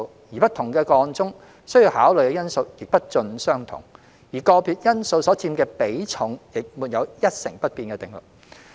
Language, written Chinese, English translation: Cantonese, 在不同的個案中，需要考慮的因素亦不盡相同，而個別因素所佔的比重也沒有一成不變的定律。, Factors to be considered in individual cases differ and the weighting of individual factors is not always the same across different cases